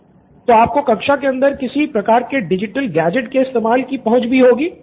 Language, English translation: Hindi, So you also must be having access to some sort of digital gadget inside classroom